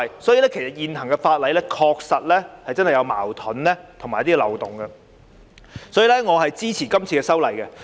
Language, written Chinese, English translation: Cantonese, 所以，現行法例確實有矛盾和漏洞。因此，我支持這次修例。, There thus exist contradictions and loopholes in the current legislation and for this reason I support this legislative amendment exercise